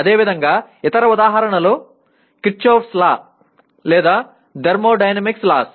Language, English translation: Telugu, Similarly, other examples are Kirchoff’s laws or laws of thermodynamics